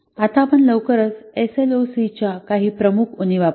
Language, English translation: Marathi, So, these are some of the shortcomings of SLOC